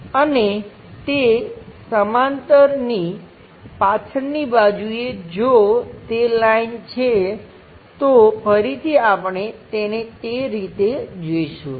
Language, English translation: Gujarati, And the back side parallel to that perhaps if that is the line again we will see it in that way